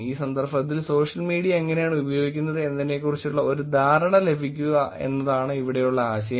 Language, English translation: Malayalam, The idea here is for you to get a sense of how social media is being used in these context